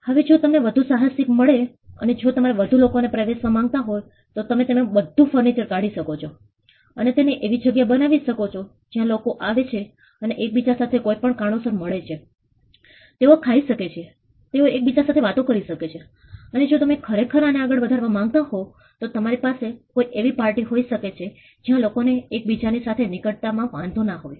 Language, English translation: Gujarati, Now, if you get more enterprising and if you want to get in more people into it you can remove all furniture and make it into a place where people come and generally socialize with each other, for whatever reason you could they could eat they could talk to each other and if you really want to stretch this forward you could have some kind of a party where people do not mind being at close proximity with each other